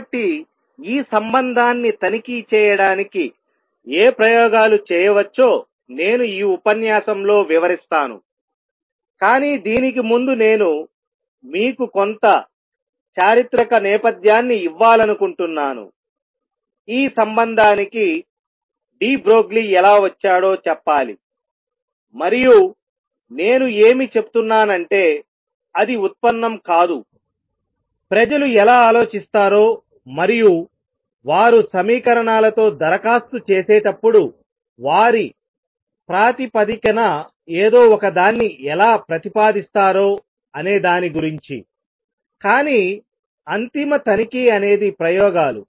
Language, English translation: Telugu, So, I will describe in this lecture what experiments can be performed to check this relationship, but before that I will just want to give you some sort of historical background has to how de Broglie arrived at this relationship, and I am just giving it is not a derivation it just that how people work how they think and propose something on the basis of they when they applying around with equations, but the ultimate check is experiments